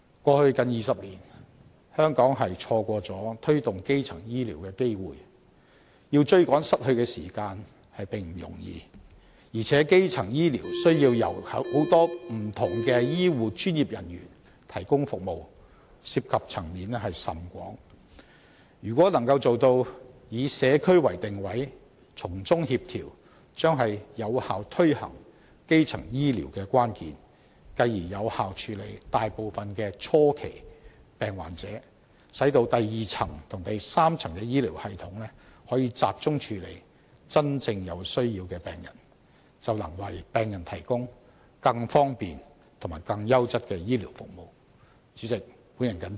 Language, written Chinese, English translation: Cantonese, 過去近20年，香港錯失了推動基層醫療的機會，要追趕失去的時間並不容易，而且基層醫療需要由很多不同的醫護專業人員提供服務，涉及層面甚廣，如果能夠做到以社區為定位，從中協調，將是有效推行基層醫療的關鍵，繼而有效處理大部分的初期病患者，使第二及第三層的醫療系統可以集中處理真正有需要的病人，便能為病人提供更方便及更優質的醫療服務。, Besides primary health care involves the provision of services by many various health care professionals and covers a wide scope . A community - oriented approach with coordination is the key to the effective implementation of primary health care and this can in turn handle most patients with early symptoms effectively . That way the second and third tiers of the health care system can focus on handling patients with genuine needs and provide them with more convenient health care services of a higher quality